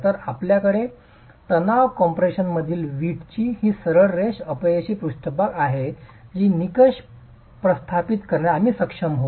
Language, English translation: Marathi, So you have this straight line failure surface of the brick in tension compression which is what we will feed into to be able to establish the criterion